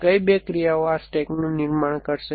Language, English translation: Gujarati, What are the two actions will produce this stack